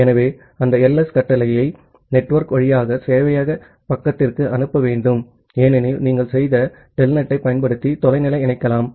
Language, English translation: Tamil, So, that ls command need to be send to the server side over the network because, that is remote connection using telnet that you have done